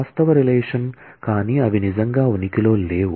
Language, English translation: Telugu, Actual relation, but they do not really exist